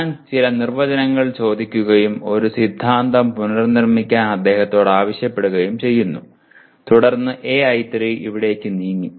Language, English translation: Malayalam, I ask some definitions and I ask him to reproduce a theorem then it becomes AI3 has moved here